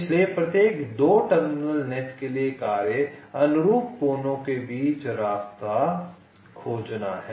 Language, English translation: Hindi, so for every two terminal net the task is to find a path between the corresponding vertices like